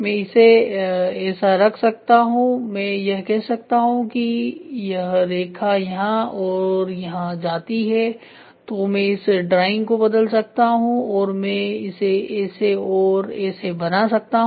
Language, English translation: Hindi, I can put like this same line goes here and here or I can replace this drawing I can make it like this and this